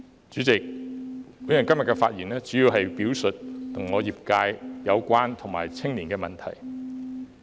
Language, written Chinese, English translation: Cantonese, 主席，我今天的發言主要是表述與我業界相關的問題，以及青年問題。, President today my speech today is mainly about issues relating to my sector and youth issues